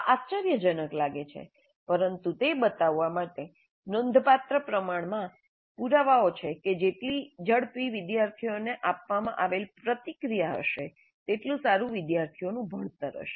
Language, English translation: Gujarati, It looks surprising, but there is considerable amount of evidence to show that the faster, the quicker the feedback provided to the students is the better will be the students learning